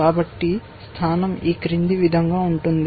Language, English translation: Telugu, So, the position is as follows